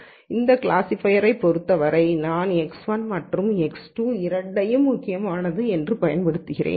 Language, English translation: Tamil, Then for this classifier, I am using both let us say variables x 1 and x 2 as being important